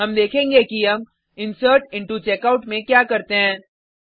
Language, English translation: Hindi, We will see what we do in insertIntoCheckout method